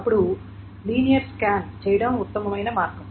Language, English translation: Telugu, The linear search may be better